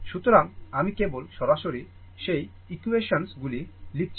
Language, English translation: Bengali, So, I am not just directly I am writing those equations right